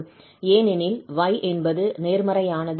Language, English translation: Tamil, Here y plus i x will appear